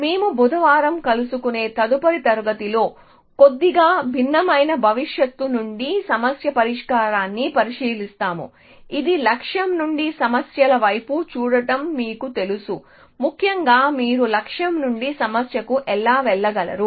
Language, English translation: Telugu, We will look at problem solving from the slightly different prospective in the next class that we meet on Wednesday, which is you know looking from the goal towards the problems, essentially how can you move from the goal to the problem